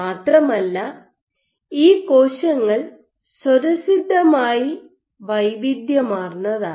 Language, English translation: Malayalam, So, these cells are innately heterogeneous